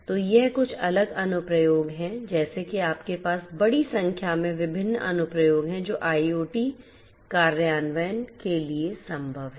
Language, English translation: Hindi, So, these are the some of these different applications like wise you have you know large number of different applications that are possible for IoT implementation